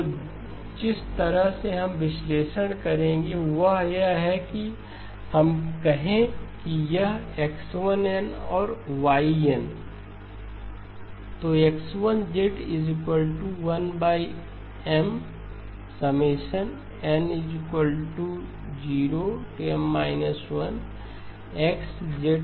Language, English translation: Hindi, So the way we would analyse is that let us say that this is x1 of n and this is y of n